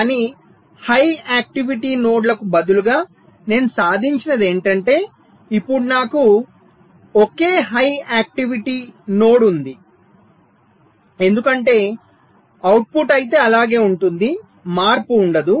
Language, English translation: Telugu, instead of two high activity nodes, now i have a single high activity node because output, whatever it was, a, it remains same